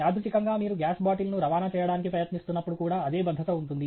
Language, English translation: Telugu, Incidentally, the same safety would also hold when you are trying to, if you have to transport the gas bottle